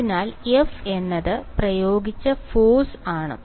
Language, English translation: Malayalam, So, string alright and F is the applied force alright